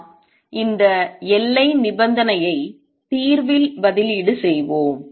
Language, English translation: Tamil, Let us substitute this boundary condition in the solution